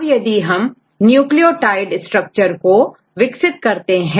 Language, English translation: Hindi, So, then we develop with the nucleotide structure